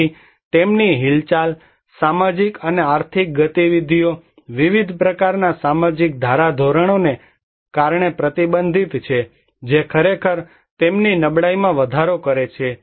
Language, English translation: Gujarati, So, their movements, social and economic movements are restricted because of various kind of social norms which actually increase their vulnerability